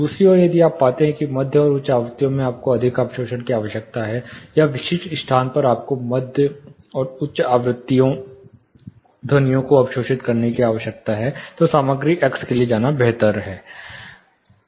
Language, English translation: Hindi, On the other hand if you find that mid and high frequency you need more absorption, or at specific location you need to arrest mid and high frequency sounds, then better go for material x